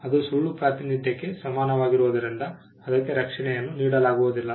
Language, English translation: Kannada, That will not be granted a protection as it amounts to false representation